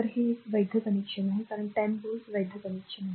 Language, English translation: Marathi, So, this is a valid connection right because 10 volt 10 volt valid connection